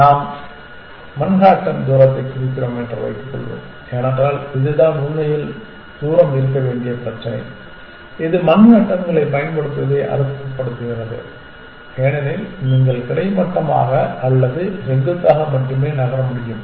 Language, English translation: Tamil, Let us assume that we mean the Manhattan distance because this is the problem where actually distance is has to be it makes sense use manhattans because you can only move horizontally or vertically